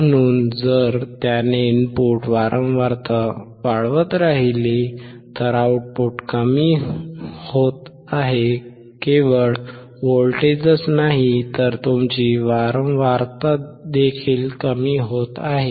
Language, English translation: Marathi, So, if he keeps on increasing the input frequency, the output is decreasing, not only voltage, but also your frequency